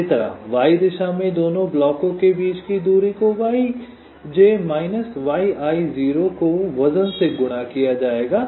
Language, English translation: Hindi, similarly, in the y direction, distance between the two blocks will be yj minus yi zero multiplied by weight